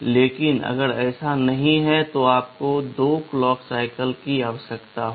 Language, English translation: Hindi, But if it is not so, you will be requiring 2 clock cycles